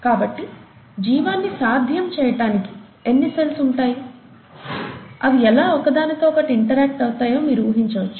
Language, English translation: Telugu, So you can imagine the number of cells and how they interact with each other to make life possible